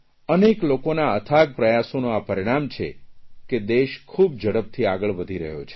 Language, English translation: Gujarati, Due to tireless efforts of many people the nation is making rapid progress